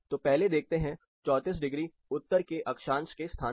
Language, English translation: Hindi, so we will look at that First let us take a look at the latitude of the place 34 degree north